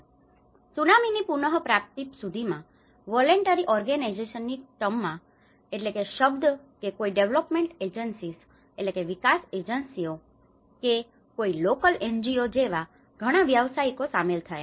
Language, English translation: Gujarati, Until the Tsunami recovery, there has been a lot of professionals get involved either in the terms of voluntary organizations or through any development agencies or any local NGOs